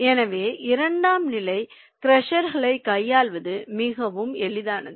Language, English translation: Tamil, so it is much easier to handle the secondary crushers